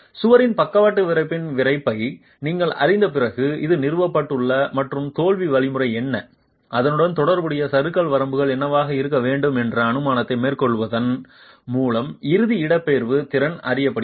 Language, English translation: Tamil, This is established after you know the stiffness of the lateral stiffness of the wall and the ultimate displacement capacity is known by making an assumption of what the failure mechanism is and what the corresponding drift limit should be